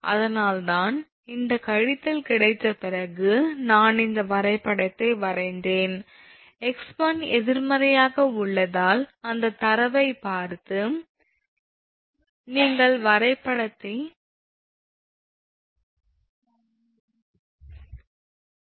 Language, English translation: Tamil, That is why after getting this minus only I have drawn this graph, looking at that data you cannot plot the graph because x one is negative